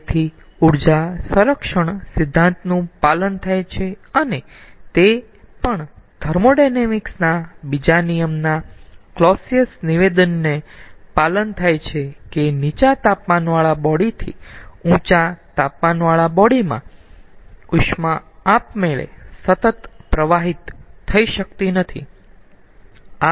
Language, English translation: Gujarati, it is also satisfying clausius statement of second law of thermodynamics that heat cannot automatically flow continuously from a low temperature body to a high temperature body